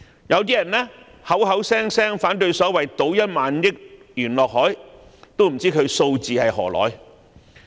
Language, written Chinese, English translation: Cantonese, 有人口口聲聲反對所謂"倒1萬億元落海"，我不知道他們的數字從何而來。, Some have voiced objection to pouring 1,000 billion into the sea as they call it . I wonder how they come up with this figure